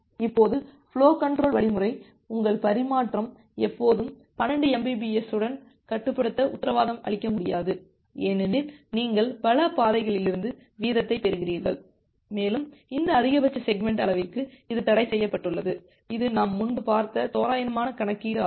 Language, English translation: Tamil, Now, your flow control algorithm will not be able to guarantee that your transmission is always restricted to 12 mbps because you are getting the rate from multiple paths and the thing is restricted to this maximum segment size that is an approximate calculation that we have looked earlier